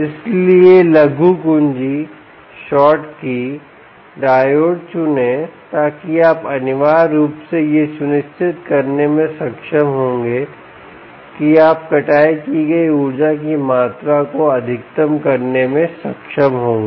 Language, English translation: Hindi, so choose short key diodes so that, ah, you will be able to um, essentially ensure that you will be able to maximize the amount of energy that is harvested